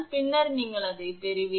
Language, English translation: Tamil, Then you will get it